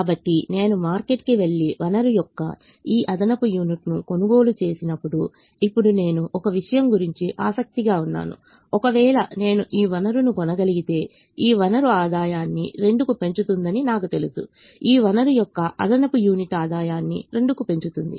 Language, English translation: Telugu, so when i go to the market and buy this extra unit of the resource, now i am keen about one thing: if i can buy this resource, i know that this resource is going to increase the revenue by two